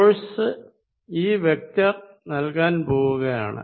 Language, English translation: Malayalam, The force is going to be given by this vector